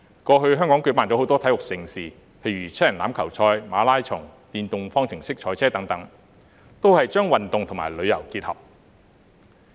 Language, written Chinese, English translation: Cantonese, 過去，香港舉辦了很多體育盛事，例如七人欖球賽、馬拉松、電動方程式賽車等，把運動與旅遊結合。, In the past Hong Kong has hosted many sports events such as the Rugby Sevens the Marathon and the Formula E ePrix integrating sports and tourism